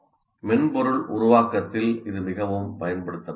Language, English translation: Tamil, This is very, very much used in software development